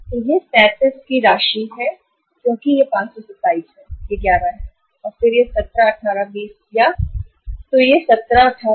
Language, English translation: Hindi, So it is uh the amount of 37 because it is 527 then it is 11 and then it is uh this is 17, 18, 20 ya 3